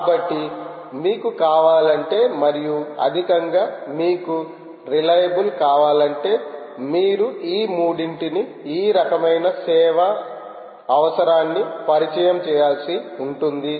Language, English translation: Telugu, so if you want and at higher you want reliability, you may have to introduce these three, this kind of a quality of service requirement